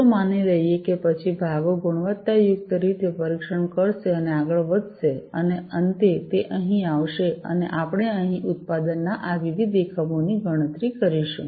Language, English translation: Gujarati, Let us assume, then the parts will get quality tested and move forward and finally, it will it is going to come over here and we are going to have the counting of these different units of product taking place over here